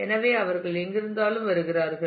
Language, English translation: Tamil, So, they come wherever there